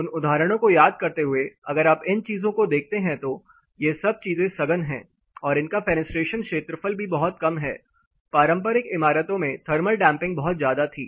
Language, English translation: Hindi, Connecting those examples if you look at these things are compact with very low fenestration area, they used to have high thermal damping